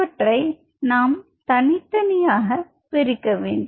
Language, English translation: Tamil, Now how to separate them out